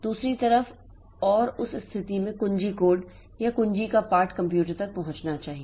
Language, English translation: Hindi, On the other hand, and that in that case that at the key code or the text key, the text of the key should reach the computer